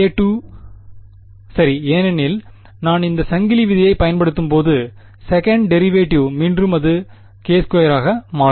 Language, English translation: Tamil, k squared right because the second derivative when I apply this chain rule, once again it will become k squared